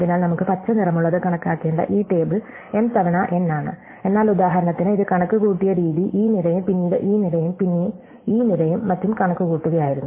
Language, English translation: Malayalam, So, we have this table that we have to compute which we have a green is m times n, but notice that the way we computed it for example, was to compute this column, then this column, then this column and so on